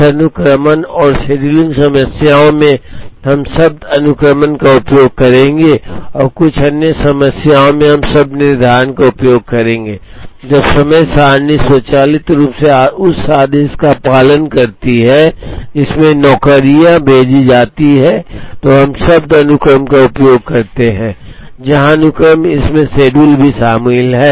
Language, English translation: Hindi, In certain sequencing and scheduling problems, we will use the word sequencing and in certain other problems, we will use the word scheduling, when the time table automatically follows the order, in which the jobs are sent then we use the term sequence, where sequence also includes the schedule